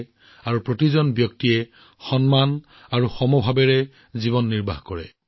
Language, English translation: Assamese, He wanted that every person should be entitled to a life of dignity and equality